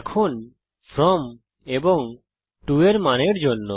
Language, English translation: Bengali, Now for the From and To values